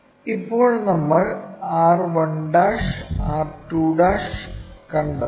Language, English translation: Malayalam, Now, we have to locate r 1', r 2'